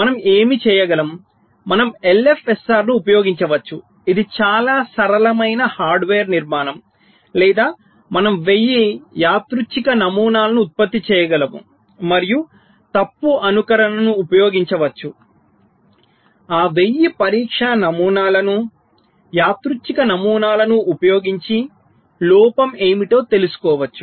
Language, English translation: Telugu, so what we can do, we can use an l f s r it's a very simple hardware structure or say we can generate one thousand random patterns and using fault simulation we can find out that using those one thousand test patterns, random patterns, what is the fault coverage